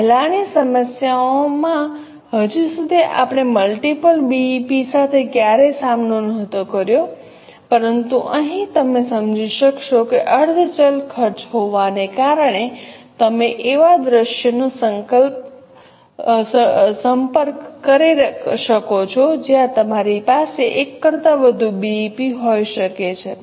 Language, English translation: Gujarati, Are you getting it now so far in earlier problems we never encountered with multiple BP but here you will realize that because of existence of semi variable costs you can approach a scenario where you can have more than 1 BEPs